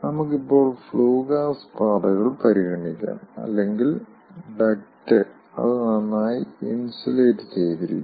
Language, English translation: Malayalam, let us now consider the flue, gas paths or the duct is well insulated